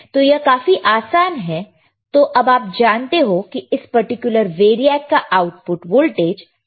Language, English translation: Hindi, So, easy extremely easy, now you know what is the voltage at the output of this particular variac, correct